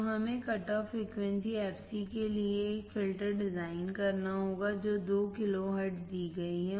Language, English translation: Hindi, So, we have to design a filter for the cut off frequency fc is given, what 2 kilohertz